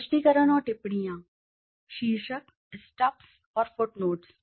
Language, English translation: Hindi, Explanations and comments, headings, stubs and footnotes